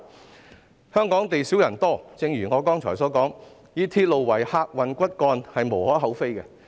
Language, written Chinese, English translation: Cantonese, 正如我剛才所說，香港地少人多，以鐵路為客運骨幹屬無可厚非。, As I have said earlier Hong Kong is a small but densely populated place . The use of railway as the backbone of the transport system is not totally unjustifiable